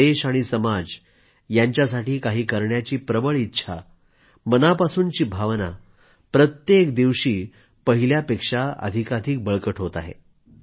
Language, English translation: Marathi, The sentiment of contributing positively to the country & society is gaining strength, day by day